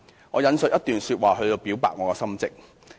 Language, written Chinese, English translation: Cantonese, 我引述一段說話以表白我的心跡。, I here quote a passage to express my thoughts